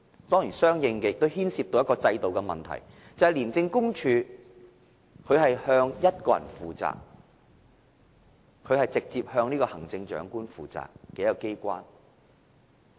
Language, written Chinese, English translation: Cantonese, 當然，這亦相應地牽涉制度上的問題，就是廉署是向一個人負責的，它是直接向行政長官負責的機關。, Of course this will also involve a problem of the system accordingly . That is ICAC is accountable to one person only it is an institution which is directly accountable to the Chief Executive